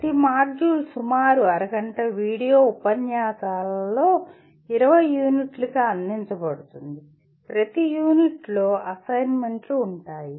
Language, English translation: Telugu, Each module is offered as 20 units of about half hour video lectures and each unit will have a set of assignments